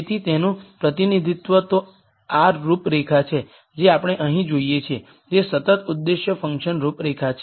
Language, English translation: Gujarati, So, the representation of that are these contours that we see here, which are constant objective function contours